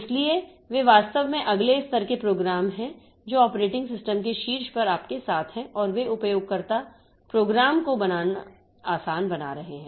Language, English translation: Hindi, So, they are actually the next level of programs that are there which on top of the operating system and they will be making the user program development easy